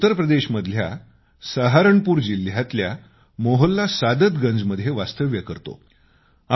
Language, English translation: Marathi, I live in Mohalla Saadatganj, district Saharanpur, Uttar Pradesh